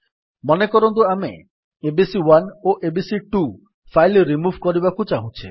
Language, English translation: Odia, Suppose we want to remove these files abc1 and abc2